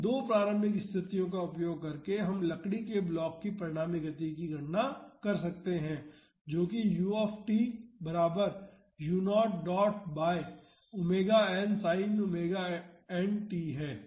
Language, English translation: Hindi, So, using these two initial conditions we can calculate the resultant motion of the wooden block that is u t is equal to u naught dot by omega n sin omega n t